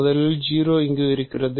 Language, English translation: Tamil, So, let us first of all 0 is there